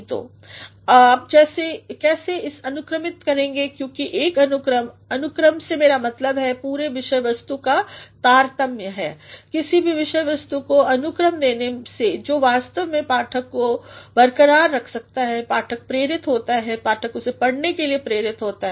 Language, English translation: Hindi, So, how you will order it because this order by order; I mean sequencing of the entire material know, providing order to any material that actually keeps your reader intact the reader is induced, the reader is induced to read it